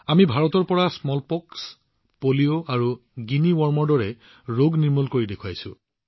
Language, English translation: Assamese, We have eradicated diseases like Smallpox, Polio and 'Guinea Worm' from India